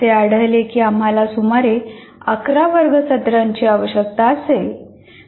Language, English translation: Marathi, So, it was found that we require, we will require about 11 classroom sessions